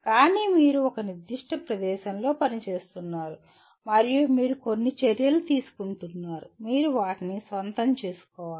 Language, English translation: Telugu, But the fact that you are working in a certain place and you are taking some actions, you have to own them